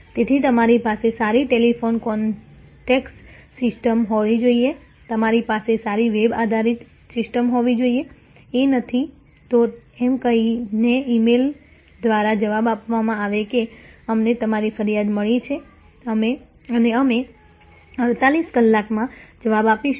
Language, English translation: Gujarati, So, you should have good telephone contact system, you should have good web based system, It’s not just routine replied by email saying we have received your complaint and we will respond back in 48 hours